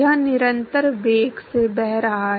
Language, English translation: Hindi, It is flowing at a constant velocity